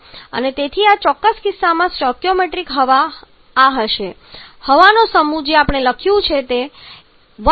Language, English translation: Gujarati, And hence the stoichiometric air in this particular case is going to be this the mass of air that we have written here that is one into 32 + 3